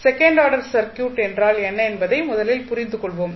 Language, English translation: Tamil, So, let us first understand what we mean by second order circuit